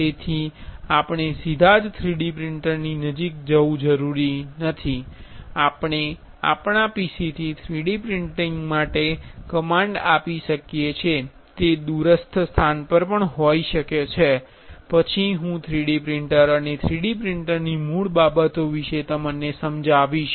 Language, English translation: Gujarati, So, we do not have to go near the 3D printer directly we can give command for 3D printing from our PC which is at a remote location, then I will explain about a 3D printer and the basics of 3D printer